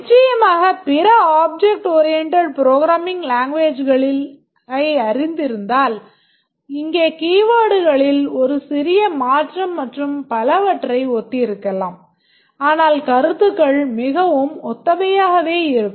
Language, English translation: Tamil, Of course, if you are familiar with other object oriented programming languages that will be very similar to here, just a small change in the keywords and so on